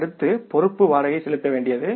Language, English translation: Tamil, Next liability is the rent payable